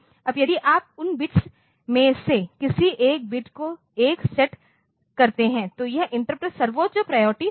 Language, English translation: Hindi, Now, if you set 1 bit to any of those bits to, that interrupt will assume the highest priority